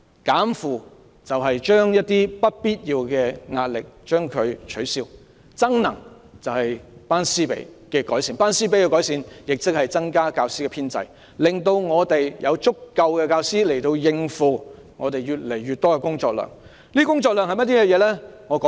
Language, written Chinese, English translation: Cantonese, "減負"就是消除一些不必要的壓力，"增能"就是改善"班師比"，亦即增加教師編制，讓學校有足夠的教師應付越來越多的工作量。, In other words we need to eliminate unnecessary pressure and enhance the class - teacher ratio . That is we need to expand the teaching staff establishment so that schools can have adequate teachers to cope with the mounting workload